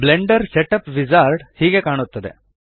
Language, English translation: Kannada, So this is what the Blender Setup Wizard looks like